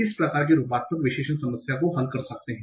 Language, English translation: Hindi, That's how they can solve the morphological analysis problem